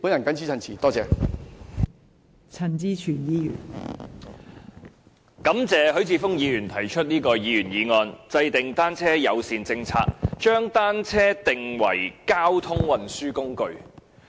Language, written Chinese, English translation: Cantonese, 代理主席，感謝許智峯議員提出這項議員議案："制訂單車友善政策，將單車定為交通運輸工具"。, Deputy President I thank Mr HUI Chi - fung for proposing this Members motion Formulating a bicycle - friendly policy and designating bicycles as a mode of transport